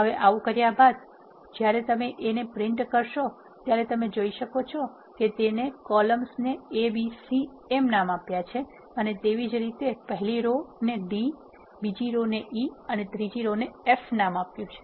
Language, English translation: Gujarati, Once you do that and print a you can see that this column is named as a, and this column is named as b, and this column is named as c